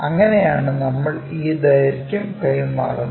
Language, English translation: Malayalam, That is the way we transfer this lengths